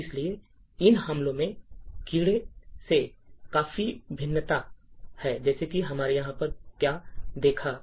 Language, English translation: Hindi, So, these attacks differ quite considerably from the bugs like what we have seen over here